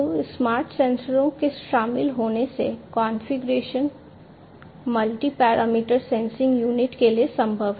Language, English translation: Hindi, So, the configurations that are involved in the smart sensors are it is possible to have a multi parameter sensing unit